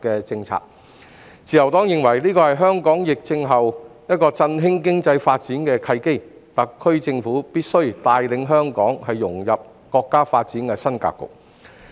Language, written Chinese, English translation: Cantonese, 自由黨認為這是香港在疫情後振興經濟發展的契機，特區政府必須帶領香港融入國家發展的新格局。, The Liberal Party believes this is an opportunity for Hong Kong to boost its economic development after the epidemic and that the SAR Government must lead Hong Kong to integrate into the new development pattern of the country